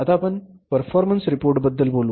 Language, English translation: Marathi, Then we prepared the performance report